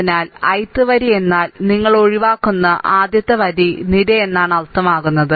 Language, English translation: Malayalam, So, ith row means first one first row column you eliminate